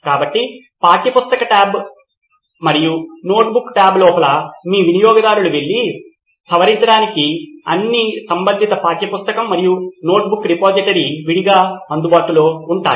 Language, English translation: Telugu, So inside the textbook tab and the notebook tab you would have all the relevant textbook and the notebook repository available separately for the users to go and edit